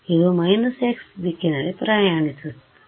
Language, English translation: Kannada, It is traveling in the minus x direction